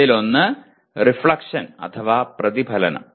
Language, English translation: Malayalam, One is reflection